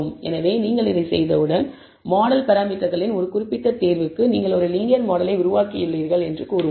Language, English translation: Tamil, So, once you have done this, for a particular choice of the model parameters, let us say you have building a linear model